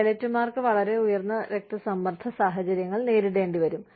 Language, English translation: Malayalam, Pilots have to deal with, very high stress situations